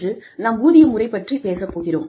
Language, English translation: Tamil, Today, we are going to talk about, the pay system